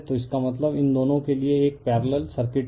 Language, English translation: Hindi, So, the this means these two in for these to a parallel circuits